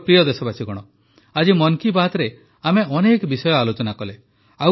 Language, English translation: Odia, My dear countrymen, today in 'Mann Ki Baat' we have discussed many topics